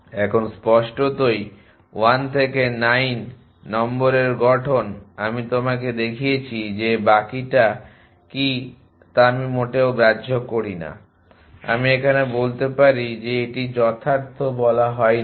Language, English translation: Bengali, Now, obviously, formation of number 1 to 9 I have shown you formation the I do not care what is the rest I am saying the this is not a valid told